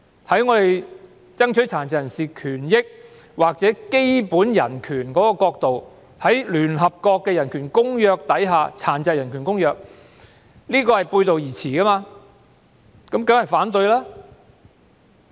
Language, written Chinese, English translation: Cantonese, 從爭取殘疾人士權益或基本人權的角度看，《條例草案》與聯合國《殘疾人權利公約》背道而馳，我們當然要反對。, From the perspective of advocates of the rights and interests of persons with disabilities or basic human rights the Bill runs counter to the United Nations Convention on the Rights of Persons with Disabilities and we definitely have to raise opposition